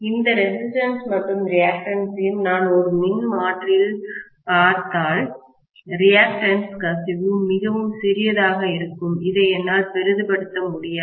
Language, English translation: Tamil, And these resistances and reactance’s if I look at it in a transformer, the reactance, the leakage reactance will be really really really really small, I can’t exaggerate this further, okay